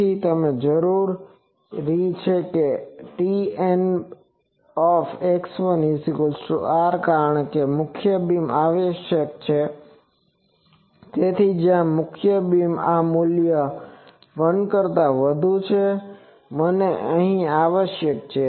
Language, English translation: Gujarati, So, we require T N x 1 is equal to R because it is in the I require the main beam so, where the main beam this value is more than 1 so, I require it here